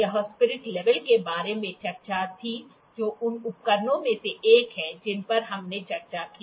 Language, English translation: Hindi, This was the discussion about the spirit level that is one of the instruments that we discussed